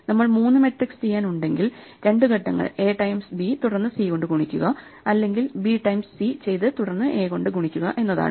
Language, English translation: Malayalam, If we have to do three matrices, we have to do in two steps A times B and then C, or B times C and then A